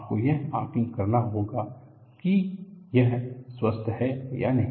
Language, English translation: Hindi, You have to assess whether it is healthy or not